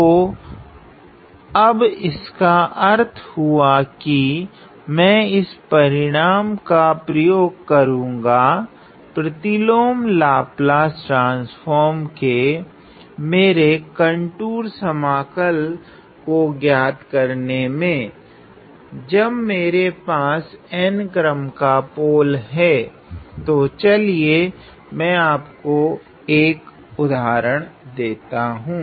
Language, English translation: Hindi, So now which means; so I am going to use this result to find out my contour integral for the inverse Laplace transform, when I have poles of order n; so let me give you an example